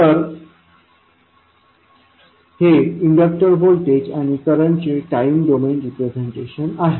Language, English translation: Marathi, So, this is the time domain representation of inductor voltage and current